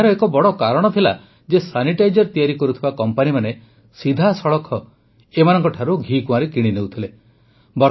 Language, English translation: Odia, One of the major reasons for this was that the companies making sanitizers were buying Aloe Vera directly from them